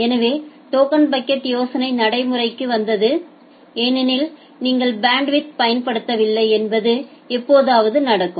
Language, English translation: Tamil, So, the idea of token bucket came into practice because sometime it happens that you are not utilizing the bandwidth